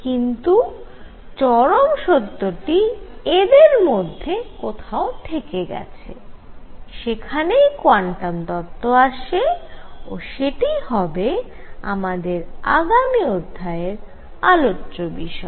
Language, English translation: Bengali, And truth is somewhere in between and that is where quantum hypothesis comes in and that is going to be the subject of the next lecture